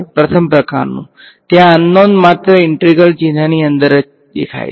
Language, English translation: Gujarati, First kind right, there is the unknown is appearing only inside the integral sign